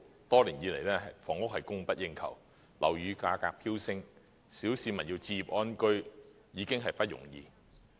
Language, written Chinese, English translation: Cantonese, 多年以來，房屋供不應求，樓宇價格飆升，小市民要置業安居，已經不容易。, Over the years inadequate housing supply and soaring property prices have already made it difficult for members of the public to purchase a flat and live in contentment